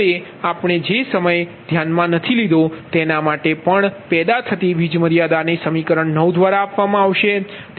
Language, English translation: Gujarati, now, also, for the time being, do not consider generated power limits given by equation nine